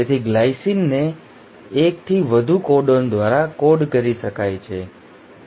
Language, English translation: Gujarati, So the glycine can be coded by more than 1 codon